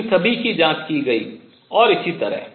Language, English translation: Hindi, These are all being investigated and so on